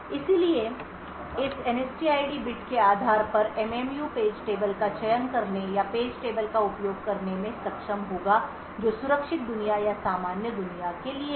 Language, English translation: Hindi, So, based on this NSTID bit the MMU would be able to select page tables or use page tables which are meant for the secure world or the normal world